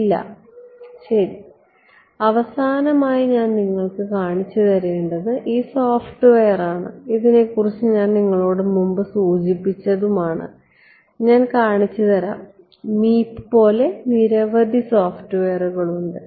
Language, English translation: Malayalam, No ok so, the last thing that I want to show you is this software which I have mentioned to you previously, I will show you so, they have I mean I will show you the reason is I mean like Meep there are many many softwares